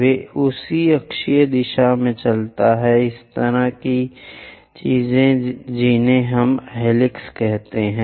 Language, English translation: Hindi, They move in that axial direction—such kind of things what we call helix